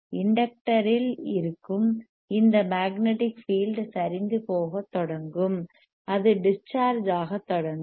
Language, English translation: Tamil, Tthis magnetic field that is there in the inductor this one,; that will start collapsing and the it will start discharging